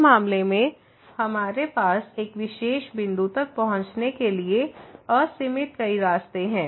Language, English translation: Hindi, In this case we have infinitely many paths a ways to approach to a particular point